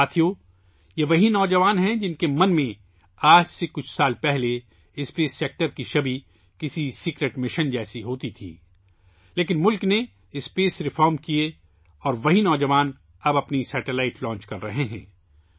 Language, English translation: Urdu, Friends, these are the same youth, in whose mind the image of the space sector was like a secret mission a few years ago, but, the country undertook space reforms, and the same youth are now launching their own satellites